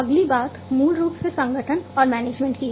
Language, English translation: Hindi, The next thing is basically the organization and management